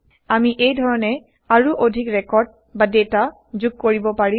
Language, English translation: Assamese, We can add more records or data in this way